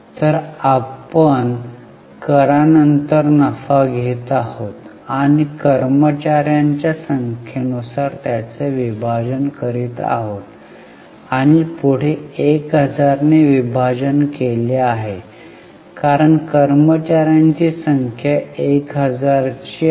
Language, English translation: Marathi, So, we are taking profit after tax and dividing it by number of employees and further dividing back 1,000 because number of employees